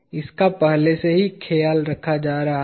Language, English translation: Hindi, That is already taken care of